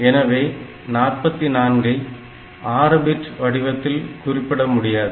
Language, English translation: Tamil, So 44, minus 44 cannot be represented in this format